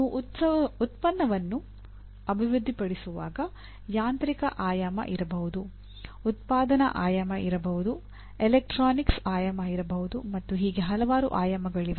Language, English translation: Kannada, There could be when you are developing a product there could be mechanical dimension, there could be manufacturing dimension, there could be electronics dimension and so on